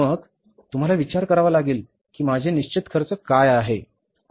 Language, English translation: Marathi, So, you have to think about what are my fixed expenses, you have no control upon them